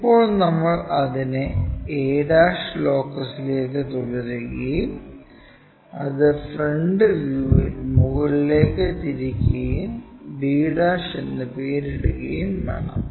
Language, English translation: Malayalam, Now, we have to continue it to locus of a ' up to all the way there and rotate that upward up to the front view and name it b '